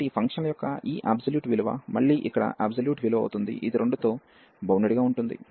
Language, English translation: Telugu, So, this absolute value of these functions will be again the absolute value here, which is bounded by 2